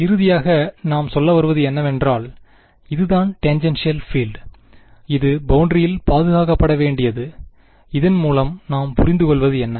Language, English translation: Tamil, Now finally, now we can say, so given that this is the tangential field and it should be conserved at the boundary, what does this tell us